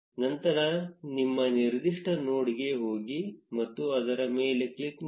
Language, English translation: Kannada, Then go to your particular node and click on it